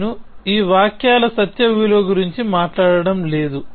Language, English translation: Telugu, I am not talking about the truth value of these sentences